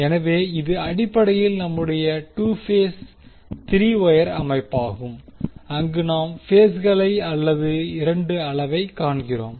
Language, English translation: Tamil, So, this is basically our 2 phase 3 wire system where we see the phases or 2 in the quantity